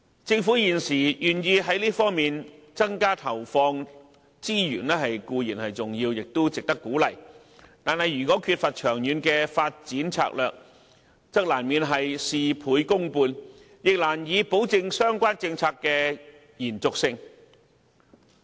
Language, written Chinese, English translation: Cantonese, 政府現時願意在這方面增加資源投放，固然是值得鼓勵的，但如果缺乏長遠發展策略，則難免會事倍功半，亦難以保證相關政策的延續性。, The Governments present willingness to increase its allocation of resources in this aspect should be encouraged but if there is no long - term development strategy we will only get half the result with twice the effort and it will be difficult to ensure the continuity of the relevant policy